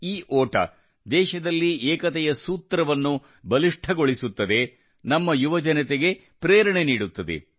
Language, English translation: Kannada, This race strengthens the thread of unity in the country, inspires our youth